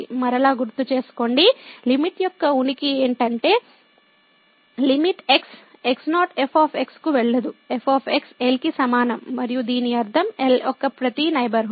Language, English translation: Telugu, Recall again, the existence of the limit was that limit goes to naught is equal to and this means that every neighborhood of